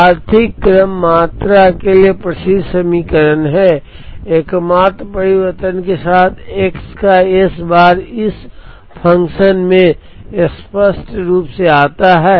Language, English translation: Hindi, This is the well known equation for economic order quantity; with the only change that s bar of x comes explicitly into this function